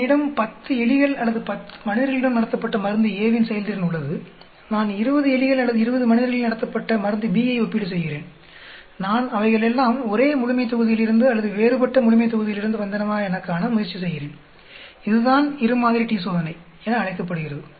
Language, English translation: Tamil, I am having a performance of drug A tested on say 10 rats or 10 human volunteers, I am comparing drug B tested on 20 rats or 20 human volunteers, I am trying to see whether they come from the same population or different population, that is called a two sample t Test